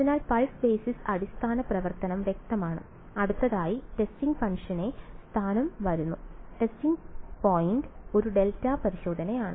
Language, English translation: Malayalam, So, the pulse basis the basis function is done clear next comes the location of the testing function, the testing point is a delta testing